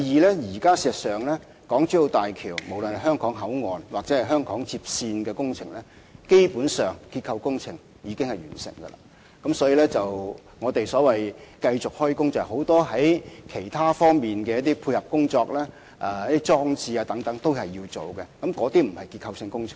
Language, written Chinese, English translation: Cantonese, 第二，事實上，現時港珠澳大橋香港口岸或香港接線的結構工程，基本上已經完成，所以，我們繼續施工進行很多其他配套工作或裝置工程等，那些不是結構性工程。, Secondly in fact the structural works of HZMB HKBCF and HKLR projects have basically been completed . We are now carrying out other ancillary work or installation works etc and they are not structural works